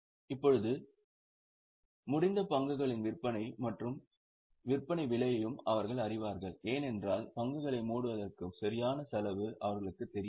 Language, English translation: Tamil, Now, they also know the sales and selling price of closing stock because they don't know exact cost of closing stock